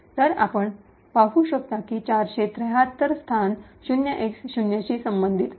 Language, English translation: Marathi, So, you could see that the location 473 corresponds to this 0X0